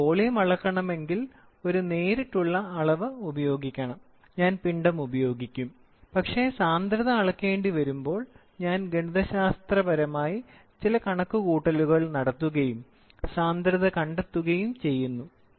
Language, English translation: Malayalam, So, if I want to measure the volume, I will use a direct measurement, I will then, I will use mass, I will use a direct measurement but when I have to measure density then, I mathematically do some calculations and then come out with some working and then find out the value density